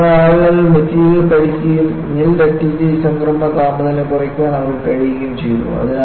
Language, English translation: Malayalam, So, people have studied the material and they have been able to bring down this nil ductility transition temperature